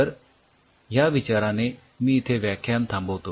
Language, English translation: Marathi, so with this thinking i will closing this lecture